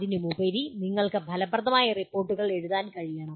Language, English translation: Malayalam, And on top of that you should be able to write effective reports